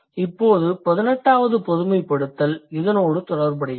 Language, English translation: Tamil, That is how the 17th generalization comes into existence